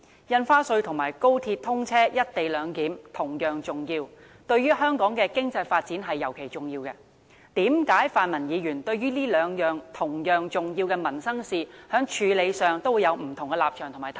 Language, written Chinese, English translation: Cantonese, 印花稅和高鐵通車、"一地兩檢"同樣重要，對於香港的經濟發展尤其重要，為何泛民議員對於這兩項同樣重要的民生事宜，在處理上會有不同立場和態度？, Stamp duty is as important as the commissioning of XRL and the implementation of the co - location arrangement; yet the latter are particularly important to the economic development of Hong Kong . Why do the pan - democratic Members have different stances in dealing with these two sets of equally important livelihood issues?